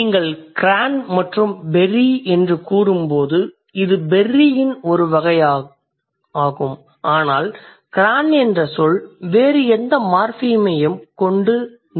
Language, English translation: Tamil, So, when you say cran and berry, this is surely some kind of berry, but the word cran cannot stand with any other morphem in the world